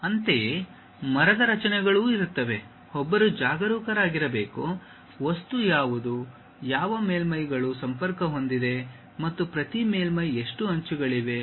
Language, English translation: Kannada, Similarly, there will be tree structures one has to be careful, something like what is the object, which surfaces are connected and each surface how many edges are there